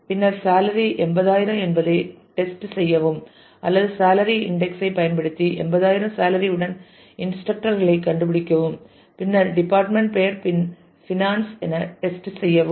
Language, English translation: Tamil, And then test if the salaries 80000 or you can use index on salary to find instructors with salary 80000 and then test if department name is finance